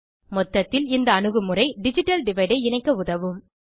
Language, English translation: Tamil, As a matter of fact, this approach can be used to bridge digital divide